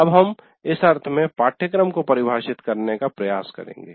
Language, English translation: Hindi, So we will now try to define syllabus in this sense